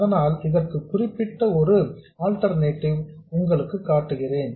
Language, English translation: Tamil, Let me show that particular alternative